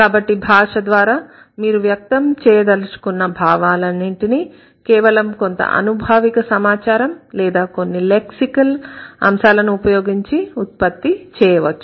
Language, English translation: Telugu, So, all your expressions through the language can be created only with a handful of empirical data that you have or only a handful of lexical items that you have